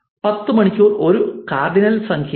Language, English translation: Malayalam, 10 hour is a cardinal number